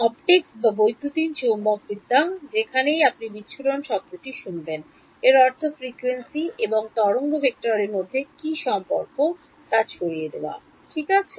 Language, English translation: Bengali, Wherever in optics or electromagnetics you here the word dispersion it means what is the relation between frequency and wave vector that is what is meant by dispersion ok